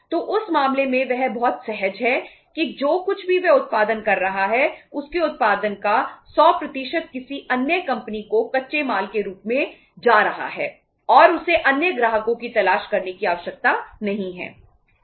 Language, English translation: Hindi, So in that case he is also very means comfortable that whatever he is producing 100% of his output is going as a raw material to the another company and he is not required to look for the other customers